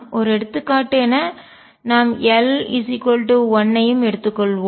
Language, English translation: Tamil, As an illustration let us also take a case of l equals 1